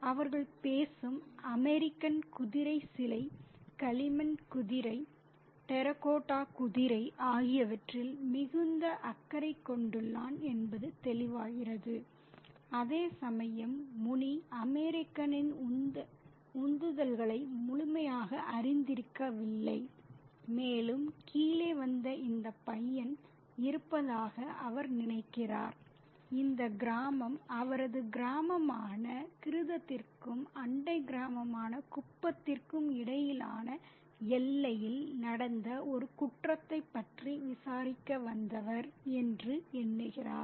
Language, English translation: Tamil, And as they talk, it becomes evident that the American is very much interested in the horse statue, the clay horse, the terracotta horse, and whereas Muni is completely unaware of the motivations of the American, and he thinks that there is this guy who has come down to this village to inquire about a crime that has happened in the border between his village, Gridum and Kupam, the neighboring village